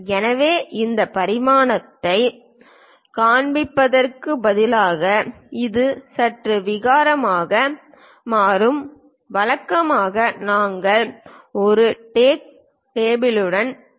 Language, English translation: Tamil, So, instead of showing all these dimensions which becomes bit clumsy, usually we go with a tag table